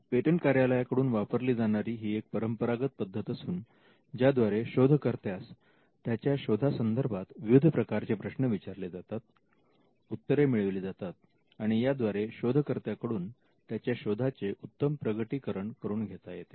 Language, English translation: Marathi, This is the traditional way in which the patent attorney interviews the inventor asks a series of questions, gets replies to the questions and eventually will be able to get a good disclosure from the inventor through the interview